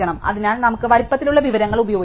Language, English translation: Malayalam, So, we can just use the size information